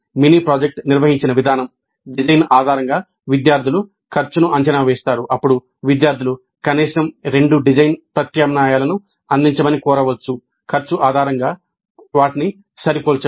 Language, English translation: Telugu, If the way the mini project is organized, students are expected to work out the cost based on the design, then the students may be asked to provide at least two design alternatives, then compare them based on the cost